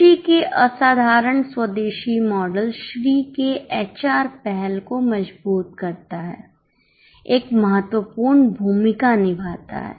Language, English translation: Hindi, The exceptional indigenous model of happiness underpinning Sri's HR initiative plays a pivotal role etc